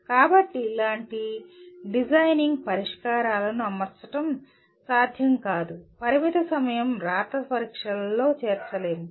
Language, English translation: Telugu, So the designing solutions like this cannot be fitted into, cannot be included in limited time written examinations